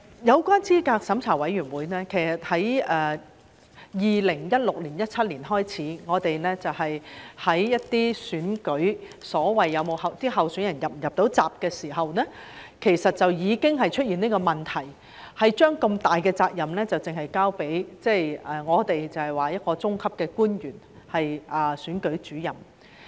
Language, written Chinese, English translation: Cantonese, 有關資審會方面，其實在2016年、2017年開始，在一些選舉中就所謂候選人能否"入閘"上，已經出現這個問題，把如此重大的責任只交給一個中級的官員，就是選舉主任。, Regarding CERC the problem concerning the eligibility of candidates has actually occurred in some elections since 2016 and 2017 . Such an important duty was only entrusted to a mid - level official the Returning Officer